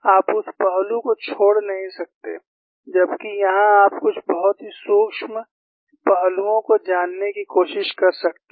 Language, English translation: Hindi, You cannot miss that aspect, whereas, here you may try to find out some very subtle aspects